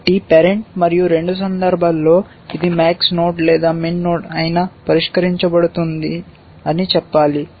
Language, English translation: Telugu, So, I should say that, parent and solved in both cases whether it is a max node or a min node